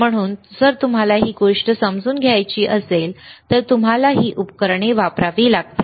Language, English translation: Marathi, So, if you want to understand this thing, you have to use this equipment